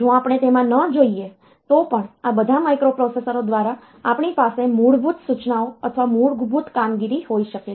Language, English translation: Gujarati, If we do not go into that even then this we can have the basic instructions or basic operations by all these microprocessors